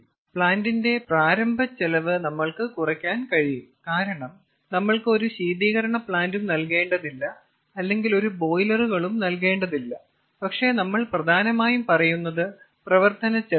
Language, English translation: Malayalam, to some extent we may reduce the initial cost of the plant because we have not to provide some sort of a chilling plant or we have not to provide some sort of a boiler, but what we say mainly is the running cost